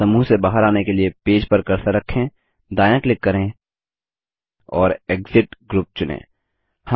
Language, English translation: Hindi, To exit the group, place the cursor on the page, right click and select Exit group